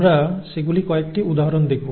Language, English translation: Bengali, We will see a couple of examples of those